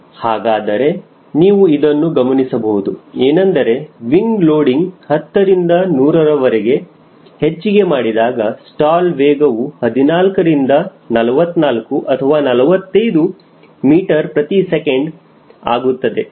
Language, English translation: Kannada, so you could easily see that as i am increasing wing loading from ten to hundred, the stall speed is changing from around fourteen to to forty four or forty five meters per second